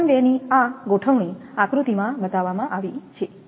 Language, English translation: Gujarati, This arrangement is shown in figure example 2